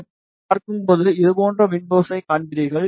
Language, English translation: Tamil, When you see this, you will see window like this